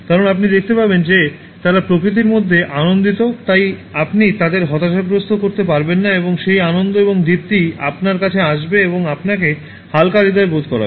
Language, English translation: Bengali, Because you will see that they are joyful in nature, so you cannot make them feel depressed and that joy and radiance will come to you and will make you feel light hearted